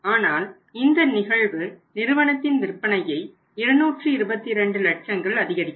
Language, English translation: Tamil, But the net effect of that will be that the company's sales will increase by 2 222 lakhs